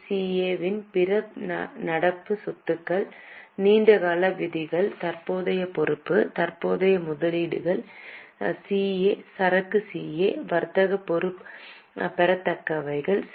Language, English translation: Tamil, So, NCA, other current assets that is CA, long term provisions, non current liability, investments CA inventory C A inventory C A trade receivables C C A cash and cash equivalent, CA